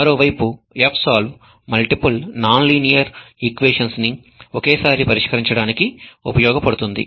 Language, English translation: Telugu, fsolv on the other hand is capable of solving multiple non linear algebraic equations simultaneously